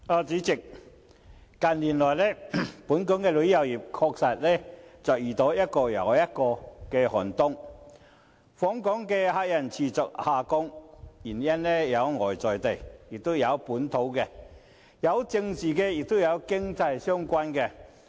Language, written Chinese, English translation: Cantonese, 主席，近年來，本港旅遊業確實遇到一個又一個寒冬，訪港旅客人數持續下降，有外在的、本地的、政治的和經濟相關的原因。, President in recent years the tourism industry in Hong Kong has indeed experienced one cold winter after another; visitor arrivals to Hong Kong have continuously decreased for external local political and economic reasons